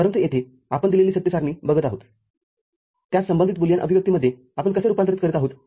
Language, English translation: Marathi, But here we are looking at given a truth table, how we are converting it to corresponding Boolean expression